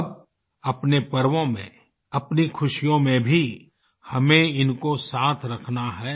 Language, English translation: Hindi, Now, during the festivities, amid the rejoicing, we must take them along